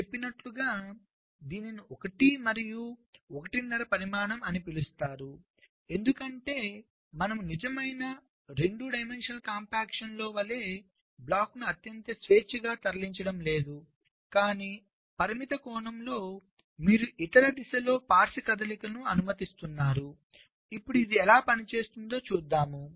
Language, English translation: Telugu, so this is called one and a half dimension, as i had said, because because you are not so freely moving the blocks as in a true two dimensional compaction, but in a limited sense you are allowing lateral movements in the other direction